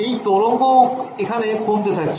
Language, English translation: Bengali, Does this wave decay